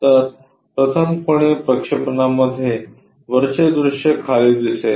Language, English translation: Marathi, So, in 1st angle projection, the top view comes at bottom